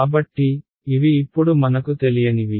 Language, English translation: Telugu, So, these now are my unknowns